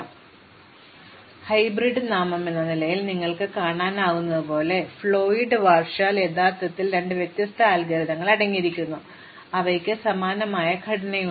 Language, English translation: Malayalam, So, Floyd Warshall as you can see from the hyphenation, as the hybrid name for this algorithm and actually there are two distinct algorithms which comprise it, which have a very similar structure